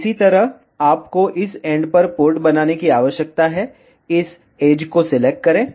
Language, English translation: Hindi, So, in the similar way, you need to create the port at this end, select this edge